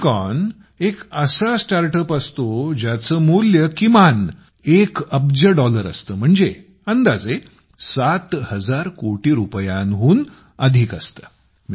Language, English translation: Marathi, 'Unicorn' is a startup whose valuation is at least 1 Billion Dollars, that is more than about seven thousand crore rupees